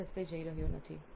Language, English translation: Gujarati, I am not going down that path